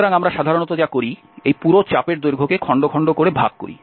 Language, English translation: Bengali, So, what we do usually, we divide this whole arc length into pieces